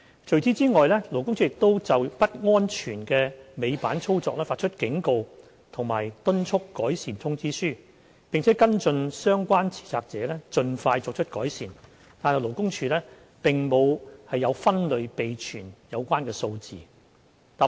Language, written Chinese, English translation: Cantonese, 除此之外，勞工處亦有就不安全的尾板操作發出警告及敦促改善通知書，並跟進相關持責者盡快作出改善，但勞工處並沒有分類備存有關數字。, Besides LD issued warnings and improvement notices to duty holders involved in unsafe tail lift operation and followed up with these duty holders to ensure that prompt remedial actions are taken . LD does not keep statistics on the concerned warnings and improvement notices issued